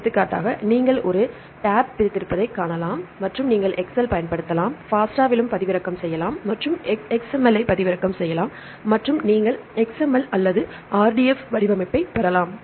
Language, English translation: Tamil, For example, you can see a tab delimited and you can use excel, you can download in FASTA and you can download XML and you can list the accession numbers right as well as you can get the XML or RDF format